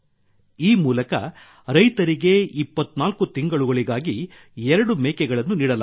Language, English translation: Kannada, Through this, farmers are given two goats for 24 months